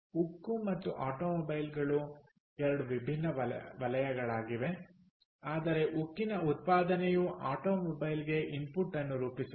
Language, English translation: Kannada, steel and automobiles are two different sectors, but steel output of steel forms an input to automobile, right, for example